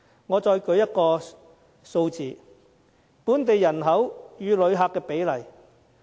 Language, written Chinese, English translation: Cantonese, 我再舉另一個數字：本地人口與旅客的比例。, Let me also quote another set of figures namely the ratio of visitors to local population